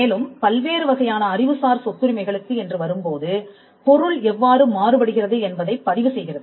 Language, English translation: Tamil, The registration process also varies when it comes to different types of intellectual property rights